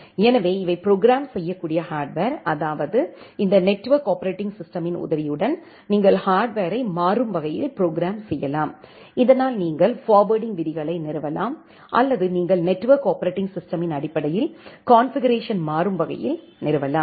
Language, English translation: Tamil, So, these are programmable hardware, that means, with the help of this network operating system, you can dynamically program the hardware so, that you can install the forwarding rules or you can install the configurations dynamically, based on the network operating system that you are using